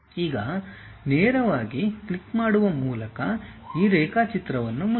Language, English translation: Kannada, Now, close this drawing by straight away clicking